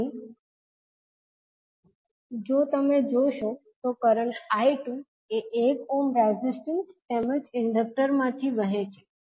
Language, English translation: Gujarati, Here if you see the current I2 is flowing 1 ohm resistance as well as the inductor